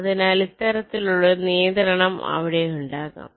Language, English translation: Malayalam, so this kind of a constraint can be there